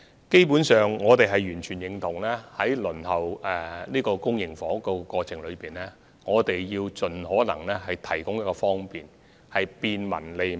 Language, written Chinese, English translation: Cantonese, 基本上，我們完全認同在輪候公營房屋的過程中，必須盡可能為市民提供方便，做到便民和利民。, Basically we fully agree that we should make things more convenient as far as possible for those members of the public waiting for public housing thereby achieving the objective of bringing convenience and benefits to the public